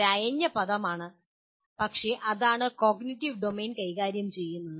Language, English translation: Malayalam, Is a loose word for this but that is what cognitive domain deals with